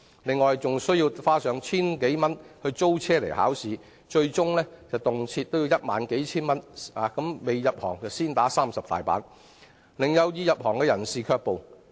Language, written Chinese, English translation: Cantonese, 此外，他們須負擔千多元的考試租車費，最終動輒合計花上數千至1萬元，相當於"未入行先打30板"，令有意入行者卻步。, In addition they have to bear the cost of over 1,000 for renting a vehicle for the driving test . They may possibly end up spending a total of several to ten thousand dollars . In other words prospective commercial drivers have to pay a considerable price before getting into the trade which can be a disincentive to them